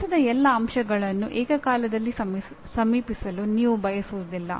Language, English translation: Kannada, You do not want to approach all aspects of the design simultaneously